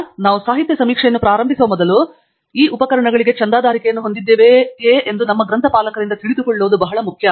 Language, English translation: Kannada, So, before we start the literature survey, it is very important for us to know from our librarian whether we have subscription for these tools